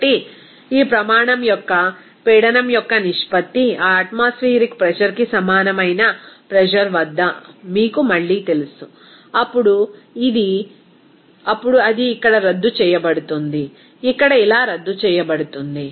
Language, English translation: Telugu, So, the ratio of this standard a pressure to its that you know again at a pressure of that equal to that atmospheric pressure, then it will be nullify here, to be canceled out here like this